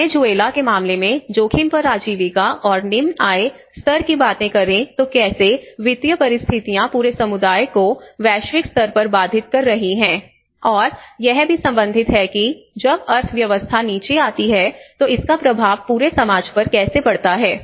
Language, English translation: Hindi, Livelihoods at risk and the low income levels like today we are looking case of Venezuela, how the situation, the financial situations have been you know disrupting the whole community in a global level, and it is also relating how even on one side when the economy falls down how it have impact on the whole society as a whole